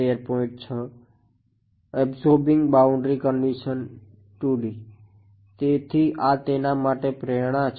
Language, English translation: Gujarati, So this is the motivation for it